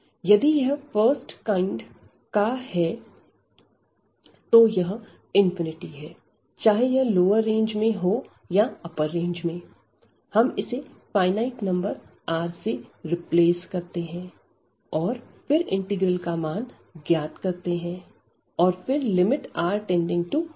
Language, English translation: Hindi, So, if it is a of first kind then this infinity whether it is in the lower range or the upper one you will replace by a finite number R and then we will evaluate the integral later on we will take the limit as R tending to infinity